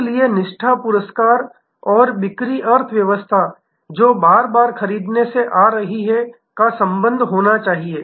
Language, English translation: Hindi, So, loyalty rewards and sales economies, which is coming from repeat buying should have a correlation